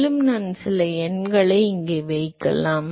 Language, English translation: Tamil, Also I can put some numbers here